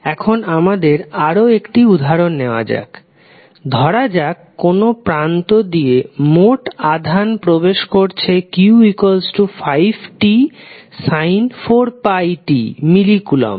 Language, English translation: Bengali, Now, let us take another example, if the total charge entering a terminal is given by some expression like q is equal to 5t sin 4 pi t millicoulomb